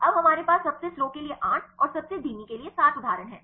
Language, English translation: Hindi, Now we have the 8 examples for the fastest and 7 for the slowest